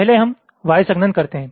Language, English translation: Hindi, first lets do y compaction